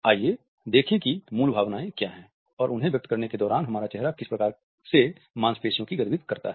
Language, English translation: Hindi, Let’s look at what are these basic emotions and what type of muscular activity takes place when our face expresses them